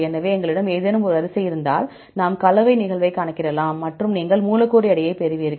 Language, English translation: Tamil, So, if we have any sequence, we can calculate the composition, occurrence and you get the molecular weight